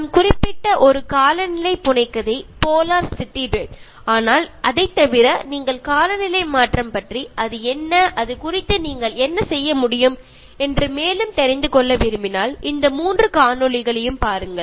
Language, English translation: Tamil, And one climate fiction that I mentioned that is Polar City Red, but apart from that if you want to know more about climate change what is it and what you can do about it